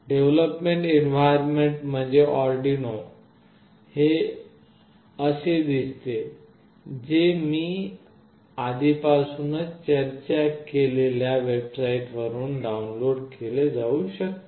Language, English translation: Marathi, The development environment used is Arduino IDE, which looks like this, which can be downloaded from the website I have already discussed